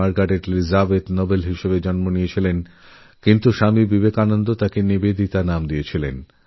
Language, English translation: Bengali, She was born in Ireland as Margret Elizabeth Noble but Swami Vivekanand gave her the name NIVEDITA